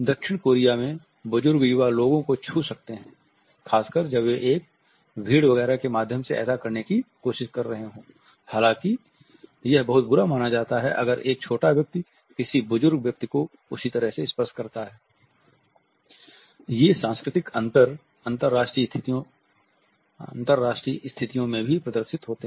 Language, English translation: Hindi, In South Korea, elders can touch younger people particularly when they are trying to get through a crowd etcetera, however it is considered to be very crowd if a younger person touches an elderly person in the same manner